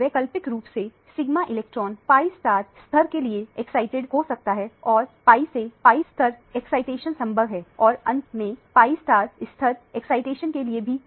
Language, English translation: Hindi, Alternatively, the sigma electron can be excited to the pi star level and the pi to pi star level excitation is possible and finally, the n to pi star level excitation is also possible